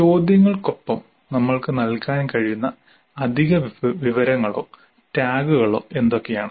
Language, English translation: Malayalam, Now what additional information or tags we can provide with the questions